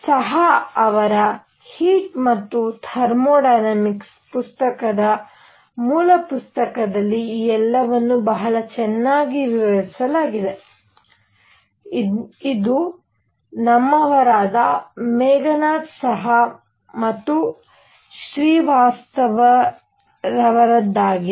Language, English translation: Kannada, All this is very nicely described in book by book on Heat and Thermodynamics by Saha; this is our own Meghanath Saha and Srivastava